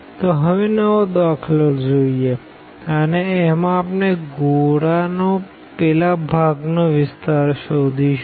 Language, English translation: Gujarati, So, moving to the next problem we will find now the area of that part of the sphere